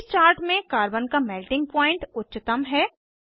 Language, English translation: Hindi, In this chart, Carbon has highest melting point